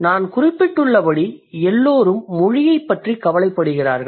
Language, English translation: Tamil, And as I've just mentioned, everyone is concerned about language